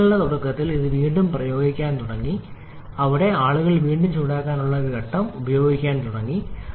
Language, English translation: Malayalam, Then in early forties it started to operate again, where have people started to use one stage of reheating